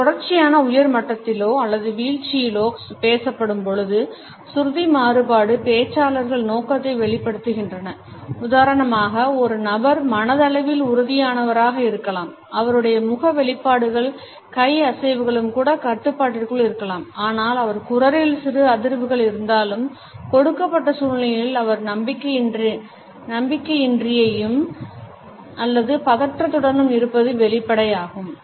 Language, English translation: Tamil, Whether it is produced or a spoken at a continuous high level, a rising level or at a falling level, pitch variation expresses the intention of the speaker, for example, a person may come across otherwise as a confident person, the facial expressions maybe control the handshake may be strong, but if the voice has streamers then the lack of confidence or tension in the given situation becomes apparent